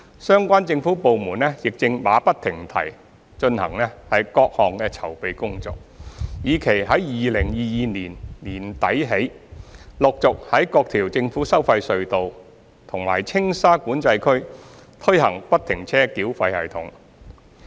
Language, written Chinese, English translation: Cantonese, 相關政府部門亦正馬不停蹄進行各項籌備工作，以期在2022年年底起，陸續在各條政府收費隧道和青沙管制區推行不停車繳費系統。, Now the relevant government departments are carrying out various preparatory work incessantly with a view to gradually implementing FFTS at various government tolled tunnels and TSCA from late 2022 onwards